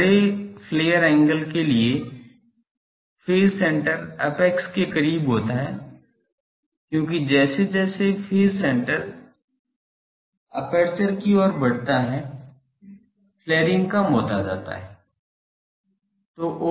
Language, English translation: Hindi, For large flare angle phase center is closer to apex as flaring decreases the phase center moves towards the aperture